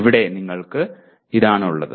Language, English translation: Malayalam, So here you have this